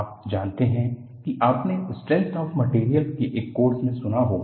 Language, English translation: Hindi, This, you might have heard in a course in strength of materials